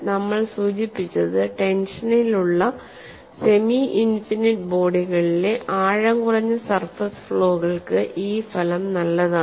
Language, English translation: Malayalam, And we have also mentioned the result is good for shallow surface flaws in semi infinite bodies in tension